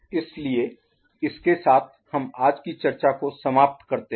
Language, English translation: Hindi, So, with this we conclude today’s discussion